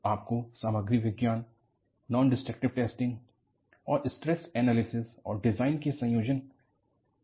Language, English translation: Hindi, So, you need to have combination of Material Science, Non Destructive Testing, Stress Analysis and Design